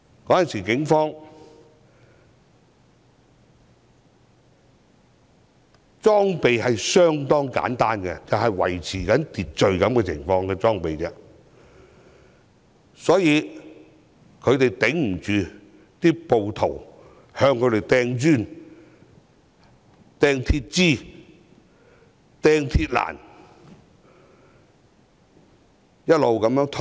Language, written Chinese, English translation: Cantonese, 警方當時的裝備相當簡單，只有用來維持秩序的裝備，所以抵擋不住暴徒向他們投擲磚頭、鐵枝和鐵欄，只好一直後退。, As the Police were only equipped with simple accoutrements for maintaining law and order they could not defend themselves against the bricks metal rods and mills barriers hurled at them